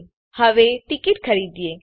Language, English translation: Gujarati, So let us buy a ticket now